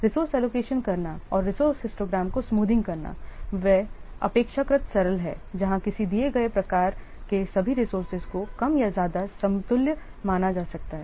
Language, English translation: Hindi, Allocating resources and smoothing resource histogram, they are relatively straightforward where all the resources of a given type they can be considered more or less equivalent